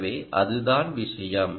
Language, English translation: Tamil, so that is a point